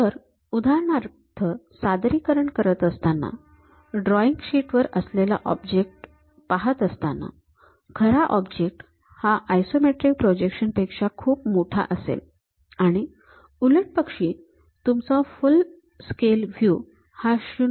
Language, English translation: Marathi, So, for example, on the projection if I am seeing on the drawing sheet of this object; the original object will be much bigger than that isometric projection, vice versa your full scale view will be reduced to 0